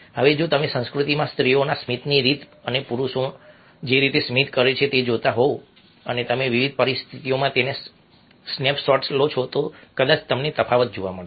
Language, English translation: Gujarati, now, if you are looking a the way women smile and the way men smile within a culture and you take snap shots of that in various situations, probably you will find a difference in the similar wave